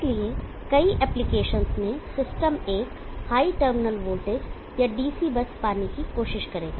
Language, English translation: Hindi, So in many applications the systems will try to have a higher terminal voltage or DC+